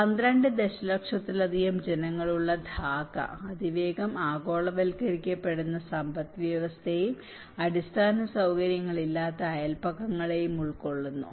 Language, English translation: Malayalam, Dhaka, the city of more than 12 million people is encompassing both rapidly globalizing economy and infrastructurally poor neighbourhoods